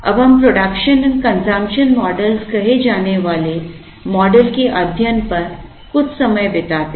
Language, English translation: Hindi, Now, let us spend some time on what are called production and consumption models